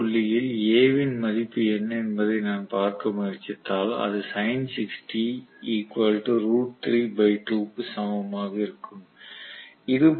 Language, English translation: Tamil, And if I try to look at what is the value of A at this point, that will also be equivalent to sin of 60